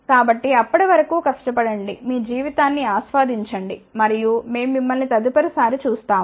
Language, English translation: Telugu, So, till then work hard enjoy your life and we will see you next time